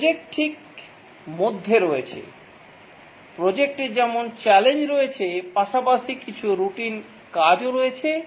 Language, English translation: Bengali, The projects as challenge as well as there are some routine tasks involved